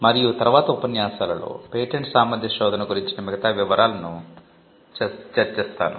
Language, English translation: Telugu, And the following lectures we will discuss the details about patentability search